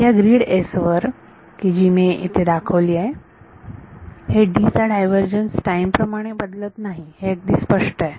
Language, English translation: Marathi, So, over this grid S which I have shown over here, it is clear that del that the divergence of D does not change in time